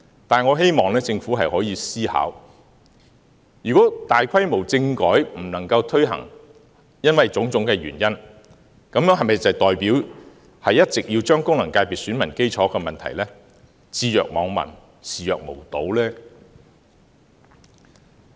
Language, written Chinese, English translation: Cantonese, 但是，我希望政府可以思考，如果大規模政改因為種種原因無法推行，這是否代表一直要將功能界別選民基礎的問題置若罔聞、視若無睹呢？, Nevertheless I hope the Government can review the matter . Even though a large - scale constitutional reform cannot be introduced due to various reasons does it mean that the Government has to turn a deaf ear and a blind eye to the problem of electoral bases of FCs?